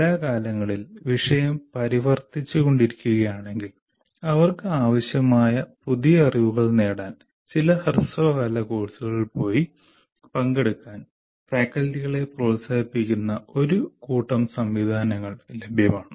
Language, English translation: Malayalam, And if the subject matter is changing from time to time, we have a whole bunch of mechanisms available where faculty are encouraged to go and attend some short term courses with the new knowledge that they need to have